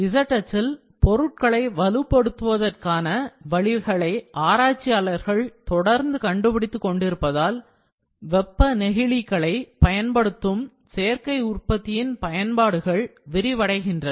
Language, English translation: Tamil, Potential additive manufacturing applications using thermoplastics are expanding as researchers discover ways to strengthen objects along the z axis